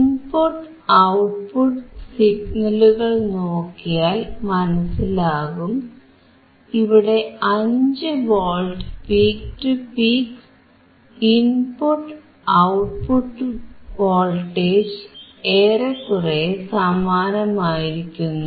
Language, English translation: Malayalam, So, when we see both input and output signals simultaneously, what we observe here is at 5V peak to peak, your input and output voltage remains almost same